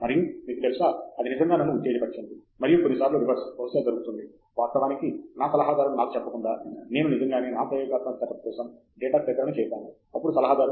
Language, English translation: Telugu, And, you know, that really excited me, and sometimes, the reverse would probably happen, that actually without my advisor telling me, I actually did data acquisition for my experimental setup; then advisor says, oh